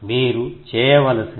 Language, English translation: Telugu, that you need to do